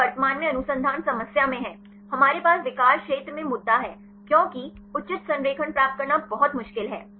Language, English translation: Hindi, This is currently in the research problem, we have the issue in the disorder region; because it is very difficult to get the proper alignment